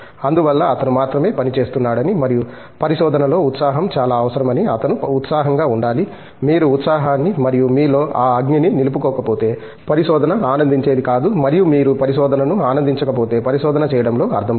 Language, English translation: Telugu, So, he should feel excited that he is the only one who is working on that and that excitement in research is very essential, if you do not retain that excitement and that fire in you obviously, research is not enjoyable and if you donÕt enjoy a research there is no point in doing research